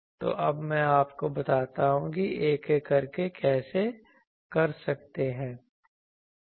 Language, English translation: Hindi, So, I will now tell you that how one by one you can